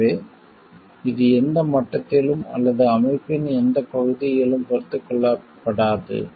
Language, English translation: Tamil, So, it is not tolerated in like at any level and or in any area of the organization